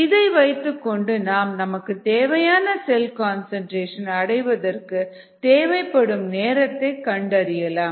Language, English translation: Tamil, this equation can be used to find the time needed to reach a desired cell concentration